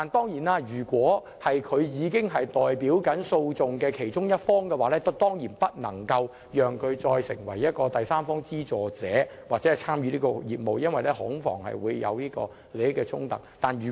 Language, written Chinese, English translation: Cantonese, 可是，如果有關律師正代表訴訟的其中一方，他當然不能為第三方資助者或參與相關業務，恐防引起利益衝突。, However if the lawyer is acting for a party to the arbitration he certainly should not be the third party funder or engage in the related business to avoid conflicts of interest